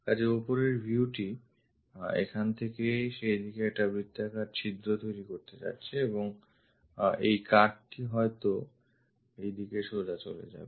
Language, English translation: Bengali, So, top view supposed to make a circular hole at that location from here and this cut supposed to go all the way